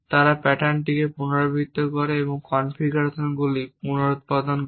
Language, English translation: Bengali, And based on those drawings, they repeat the pattern and reproduce the configurations